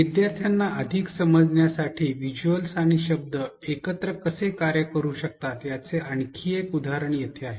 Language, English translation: Marathi, Here is another example of how visuals and words can work together to create meaning for the learners